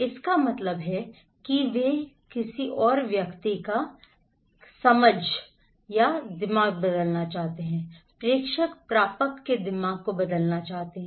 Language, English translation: Hindi, That means they want to change the mind, senders wants to change the mind of receiver’s